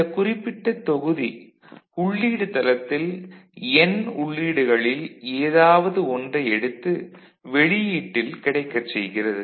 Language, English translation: Tamil, So, this particular block actually takes any of the n inputs, which is present at this site at the input site and makes it available to the output